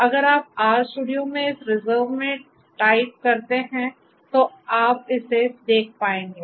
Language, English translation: Hindi, So, if you just type in this in the R studio this reserve then you would be able to see this